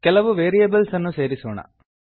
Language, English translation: Kannada, Let us add some variables